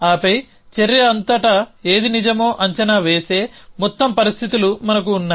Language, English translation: Telugu, And then we have overall conditions which have predicate which was being true throughout the action